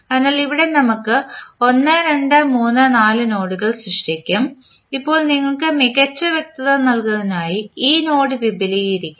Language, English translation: Malayalam, So, here we will 1 2 3 4 terms so we will create 1 2 3 4 nodes now this node is basically being extended to give you better clarity